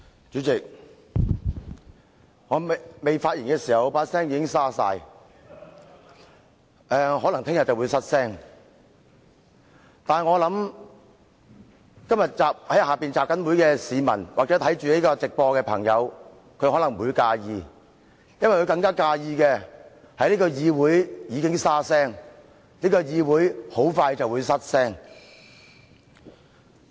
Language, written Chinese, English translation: Cantonese, 主席，儘管我尚未發言，但我的聲音已經變得沙啞，明天可能會失聲，但我在想，今天在大樓外集會的市民或正在觀看立法會直播的朋友可能不會介意，因為他們更介意這個議會已經"沙聲"，這個議會很快便"失聲"。, President although I have yet spoken my voice is already hoarse and I may lose my voice tomorrow . But I think to people participating in the assembly outside the Legislative Council Complex or those watching the live broadcast of this meeting they may not really mind it because they are more concerned that the voice of this Council has become hoarse and that this Council is going to lose its voice soon